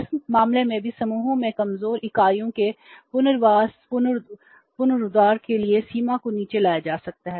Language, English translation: Hindi, In this case also the limit can be brought down for rehabilitation, revival of the weaker units in the group